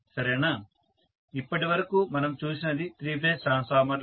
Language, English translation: Telugu, Right So much so for three phase transformer